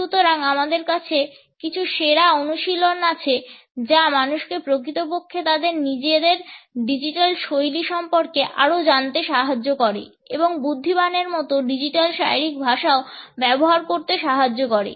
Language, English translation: Bengali, So, I have a few best practices to help people actually make sure that they are learning a little more about their own digital styles but also using digital body language intelligently